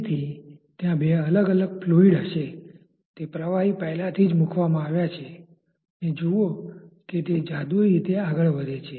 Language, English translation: Gujarati, So, there will be two different fluids those liquids which have already been put and see that it is just like moving magically